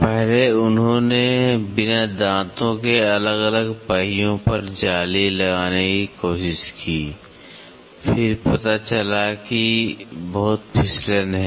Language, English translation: Hindi, First they tried meshing to different wheels without teeth, then, they are found out there is lot of slip